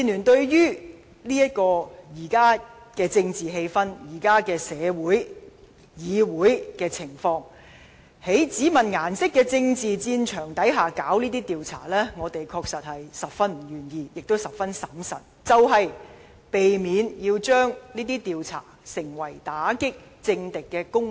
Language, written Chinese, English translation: Cantonese, 對於在現今政治、社會和議會的情況下，對於在只問顏色的政治戰場下進行這種調查，民建聯確實十分不願意，亦十分審慎，就是要避免令這些調查成為打擊政敵的工具。, Given the present state of our politics our society and the legislature the Democratic Alliance for the Betterment and Progress of Hong Kong DAB is indeed most reluctant to conduct such kind of investigation in a political battlefield where colour is all that matters . We are also extremely cautious to avoid such kind of investigation being exploited as a tool of suppression against political opponents